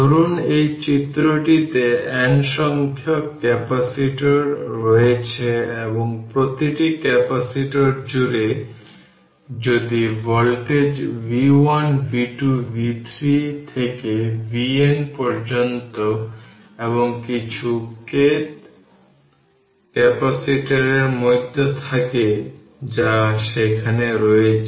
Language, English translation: Bengali, Suppose you have this figure you have n number of capacitors and across each capacitor is voltage is v 1 v 2 v 3 up to v n in between some k th capacitor that is also there right